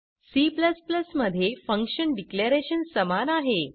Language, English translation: Marathi, The function declaration is same in C++